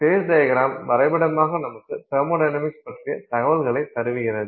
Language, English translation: Tamil, Phase diagrams are a pictorial way of representing the thermodynamic information